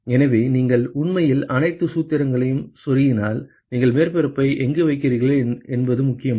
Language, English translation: Tamil, So, if you actually plug in all the formula, it does not matter where you place the surface area